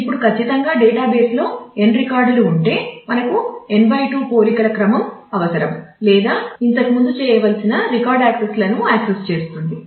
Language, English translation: Telugu, Now, certainly this will mean that if there are n records in the database then we will need or the order of about n /2 comparisons to be done or accesses record accesses to be done before